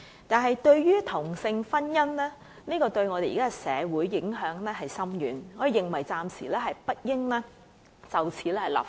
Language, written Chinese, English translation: Cantonese, 可是，由於同性婚姻對我們的社會有深遠影響，我們認為暫時不應就此立法。, But since same - sex marriage will have far - reaching implications on society we think it is inappropriate to legislate for this for the time being